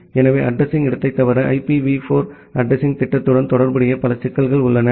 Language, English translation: Tamil, So, apart from the address space, there are multiple other problems which are associated with IPv4 addressing scheme